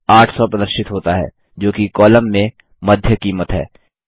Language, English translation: Hindi, The result shows 800, which is the median cost in the column